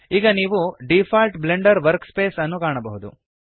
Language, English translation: Kannada, Now you can see the default Blender workspace